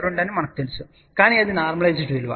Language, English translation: Telugu, 2, but that was normalize value